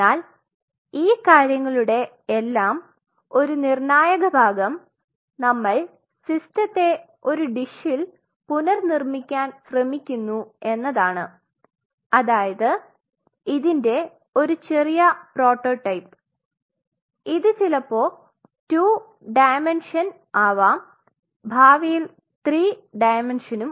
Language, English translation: Malayalam, One of the critical parts of all these things that we are trying to rebuilt a system in a dish a small prototype of it maybe in a two dimension and in future in a three dimension